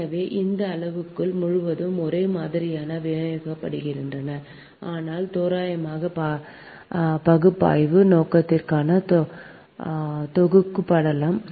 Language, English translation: Tamil, so so these parameters are uniformly distributed throughout, but can be lumped for the purpose of analysis, an approximate basis